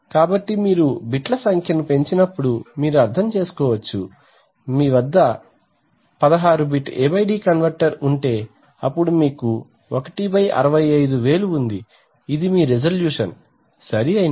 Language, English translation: Telugu, So when you increase the number of bits you can understand that if you have, let us say a 16 bit A/D converter then you have 1/65,000, this is your resolution, right